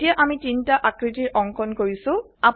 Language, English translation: Assamese, Now, we have inserted three shapes